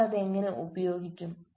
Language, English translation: Malayalam, how do they utilize it